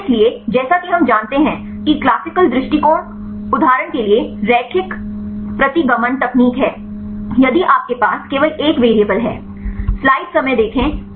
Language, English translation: Hindi, So, the classical approach as we know is the linear regression technique for example, if you have only one variable